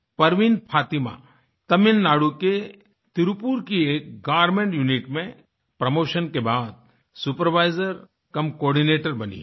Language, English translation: Hindi, Parveen Fatima has become a SupervisorcumCoordinator following a promotion in a Garment Unit in Tirupur, Tamil Nadu